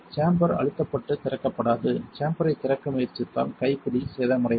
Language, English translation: Tamil, The chamber is pressurized and will not open attempting to open the chamber could result in the handle being damaged